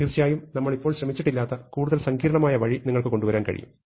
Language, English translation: Malayalam, Of course, you can come up with more sophisticated way which we will not go into right now